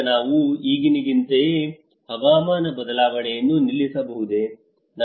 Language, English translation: Kannada, Now, can we stop climate change just as of now